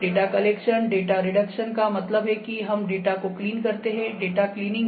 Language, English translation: Hindi, Data collection, data reduction means we clean the data; data cleaning ok